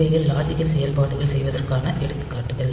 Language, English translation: Tamil, So, these are the examples by which this logical operations are done